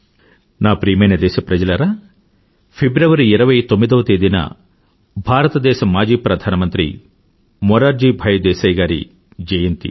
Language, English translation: Telugu, My dear countrymen, our former Prime Minister Morarji Desai was born on the 29th of February